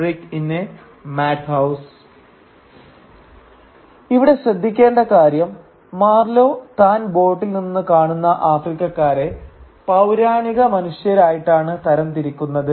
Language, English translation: Malayalam, Now please note here that Marlow categorises the Africans that he sees from his boat as prehistoric men